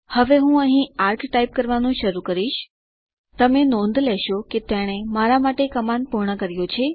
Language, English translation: Gujarati, Now i will start typing arc here, you will notice that it completed the command for me